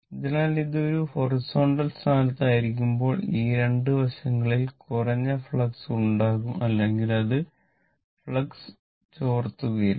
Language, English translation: Malayalam, So, when it is a horizontal position, this side and this side, there will be low flux or it will not leak the flux